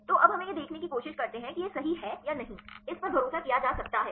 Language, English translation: Hindi, So, now we try to see whether this is correct or not how far; this can be trusted